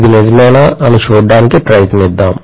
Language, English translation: Telugu, Let us try to see whether it is really true eventually